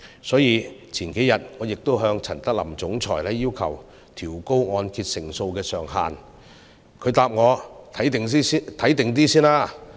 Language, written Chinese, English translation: Cantonese, 所以，數天前我向陳德霖總裁要求調高按揭成數上限，他回答我"先觀望一下"。, Therefore a few days ago I asked the Chief Executive of HKMA Mr Norman CHAN to raise the LTV ratio